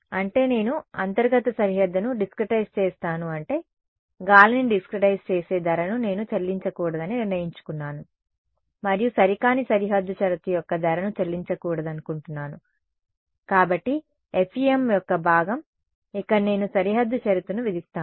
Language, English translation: Telugu, That means, I discretize the interior boundary left is what, I have decided I do not want to pay the price of discretizing air and I do not want to pay the price of inexact boundary condition; so, the part of the FEM, where I impose the boundary condition